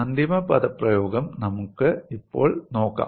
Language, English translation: Malayalam, We will now look at the final expression